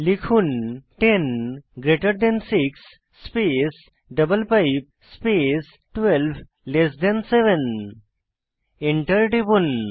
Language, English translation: Bengali, 10 greater than 6 space double pipe space 12 less than 7 Press Enter